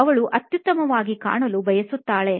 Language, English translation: Kannada, She wants to look her best